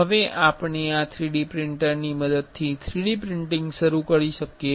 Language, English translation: Gujarati, Now, we can start 3D printing using this 3D printer